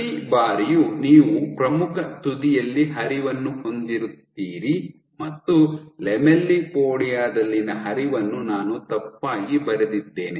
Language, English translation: Kannada, So, every time you have the flow at the leading edge what you see is, so I drew this wrong the flow in the lamellipodia